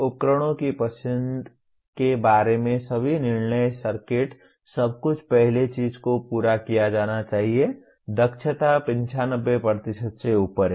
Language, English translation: Hindi, All decisions regarding the choice of devices, circuits everything should be first thing to be met is the efficiency has to above 95%